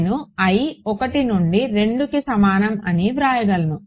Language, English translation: Telugu, So, I can write i is equal to 1 to 2